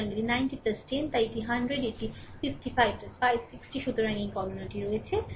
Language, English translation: Bengali, So, it is 90 plus 10 so, it is 100 and it is 55 plus 560 so, this calculation is there